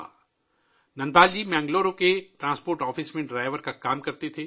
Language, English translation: Urdu, Dhanapal ji used to work as a driver in the Transport Office of Bangalore